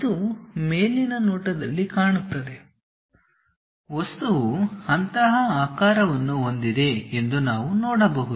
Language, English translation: Kannada, It looks like in the top view, we can see that the object has such kind of shape